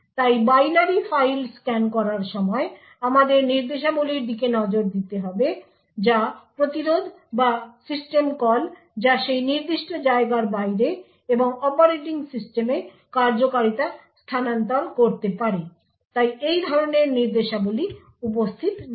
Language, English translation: Bengali, So while scanning the binary file we need to look out for instructions which are interrupts or system calls so which could transfer execution outside that particular compartment and into the operating system, so these kinds of instructions are not present